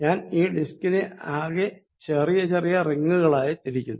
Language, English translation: Malayalam, What I am going to do now is, divide this entire disc into small rings